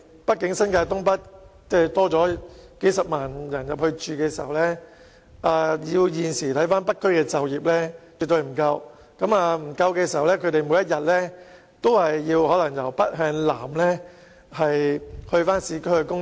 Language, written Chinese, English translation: Cantonese, 畢竟當新界東北增加數十萬人口後，以現時北區的就業情況，絕對不能提供足夠職位予新增人口，市民每天便要從北向南到市區工作。, After all with hundreds of thousands of residents moving to North East New Territories in the future the labour market in North District can never absorb all the new residents rendering it necessary for the people to travel south to the urban areas for commuting